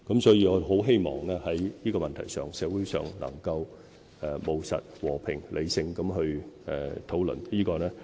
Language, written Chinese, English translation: Cantonese, 所以，我很希望在這問題上，社會能夠務實、和平、理性地討論。, I therefore very much hope that there can be a pragmatic peaceful and rational discussion on this issue in society